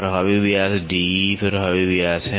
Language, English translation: Hindi, The effective diameter D E is the effective diameter